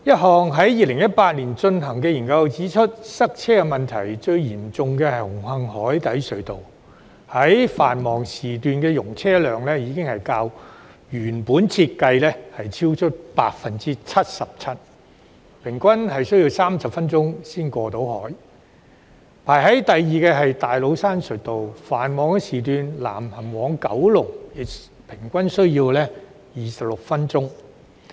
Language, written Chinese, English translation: Cantonese, 在2018年進行的一項研究指出，塞車問題最嚴重的是紅磡海底隧道，其繁忙時段的容車量已較原定設計超出 77%， 車輛平均需要30分鐘才能過海；第二位是大老山隧道，在繁忙時段，車輛南行往九龍平均需要26分鐘。, As pointed out in a study conducted in 2018 traffic congestion at the Cross Harbour Tunnel CHT is the most serious . During the peak hours the traffic volume there has exceeded its design capacity by 77 % and it takes 30 minutes for a vehicle to cross the harbour on average . The Tates Cairn Tunnel is the one which ranks the second